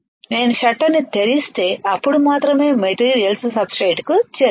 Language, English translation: Telugu, If I open the shutter then only the materials will reach the substrate right